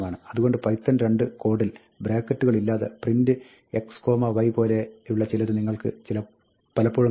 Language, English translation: Malayalam, So, you will very often see, in python 2 code, something that looks like print x, y, given without any brackets